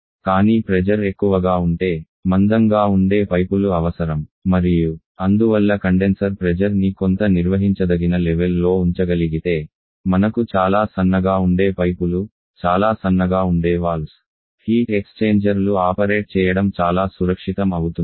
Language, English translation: Telugu, But higher the pressure more thicker pipes that we need and therefore if the condenser pressure can be kept to some manageable level we can use much thinner pipes much thinner valve tech exchanger and also it is much safer to operate